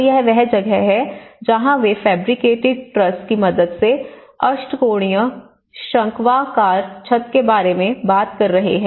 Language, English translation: Hindi, So that is where they are talking about the octagonal conical roof with the help of truss, fabricated truss